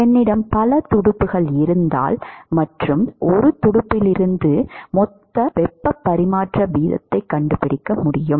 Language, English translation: Tamil, If I have many fins and if I know what is the total heat transfer rate from 1 fin